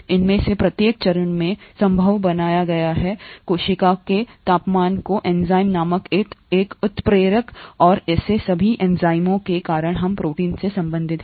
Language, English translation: Hindi, Each of these steps is made possible at the temperature of the cell because of a catalyst called enzymes, and all such enzymes that we’re concerned with, are proteins